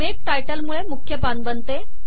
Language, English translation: Marathi, Make title, creates the title page